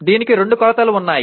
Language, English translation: Telugu, There are two dimensions to this